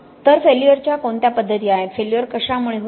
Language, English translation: Marathi, Okay, so what are the modes of failure, how does failure manifest itself